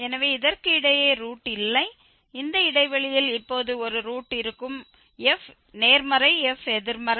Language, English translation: Tamil, So, there is no root between this we will have a root now in this interval f positive, f negative